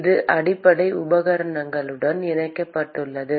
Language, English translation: Tamil, It is attached to the base equipment